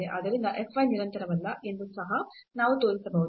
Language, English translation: Kannada, So, we can show also that f y is not continuous